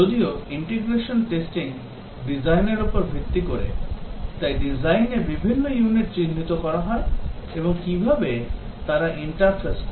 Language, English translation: Bengali, Whereas, the integration testing is based on the design, so different units are identified in the design and how do they interface